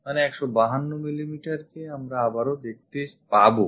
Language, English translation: Bengali, So, 152 mm again we will see